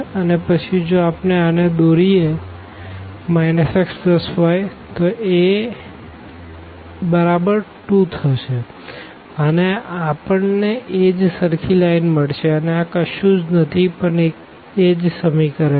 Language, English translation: Gujarati, And, now if we draw this minus x plus y is equal to minus 2 again we get the same line because, this is nothing, but the same equation